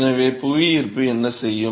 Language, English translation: Tamil, So, what will gravity do